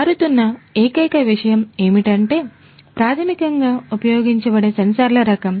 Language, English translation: Telugu, So, the only thing that changes is basically the type of sensors that would be used